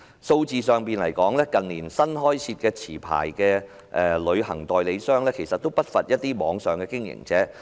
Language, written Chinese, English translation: Cantonese, 數字上，近年新開設的持牌旅行代理商不乏網上經營者。, In terms of figures in recent years many of the new licensed travel agents are online operators